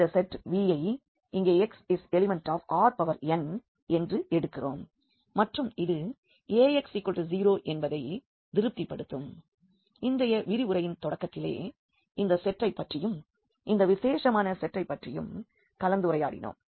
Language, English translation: Tamil, So, we take this set V here x belongs to this R n and it satisfy this Ax is equal to 0; we have discussed at the very beginning of today’s lecture about this set that the special set only